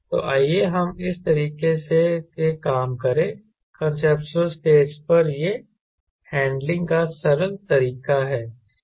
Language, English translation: Hindi, thats the conceptual stage, its simpler way of handling it